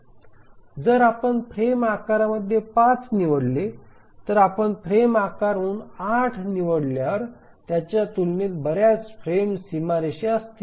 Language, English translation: Marathi, So, if we choose 5 as the frame size, then there will be many frame boundaries compared to when we choose 8 as the frame size